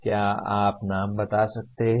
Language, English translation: Hindi, Can you name the …